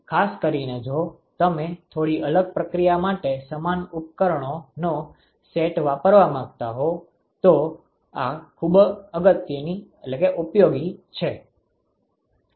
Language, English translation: Gujarati, So, this is very useful particularly if you want to use the same set of equipments for a slightly different process